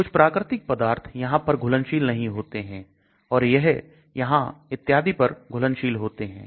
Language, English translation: Hindi, Some of the natural products might not be soluble here and they may be soluble here and so on actually